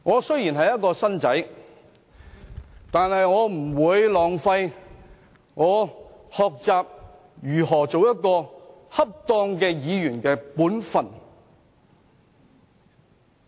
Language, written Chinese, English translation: Cantonese, 雖然我是"新丁"，但我不會浪費任何讓我學習如何做好議員本分的機會。, Maybe I am a freshman yet I will take every chance and learn to fulfil my duties as a proper legislator